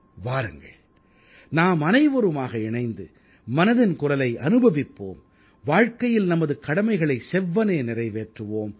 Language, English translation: Tamil, Let's sit together and while enjoying 'Mann Ki Baat' try to fulfill the responsibilities of life